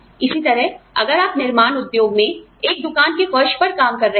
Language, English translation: Hindi, Similarly, if you are working on the shop floor, in the manufacturing industry